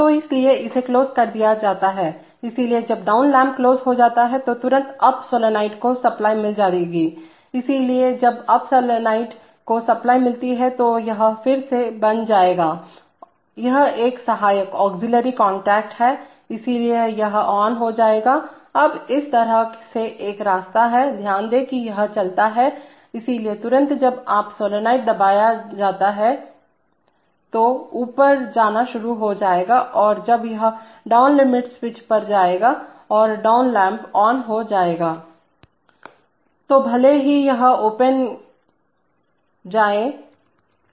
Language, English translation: Hindi, So therefore it is closed, so when the down lamp is closed immediately the up solenoid will get, immediately the up solenoid will get supply, so when the up solenoid gets supply, again this will become, this an auxiliary contact, so it becomes on, now there is a path through this way, note that as it moves, so immediately when the up solenoid is on the press will start going up and when it goes up the down limit switch and the down lamp will glow, will open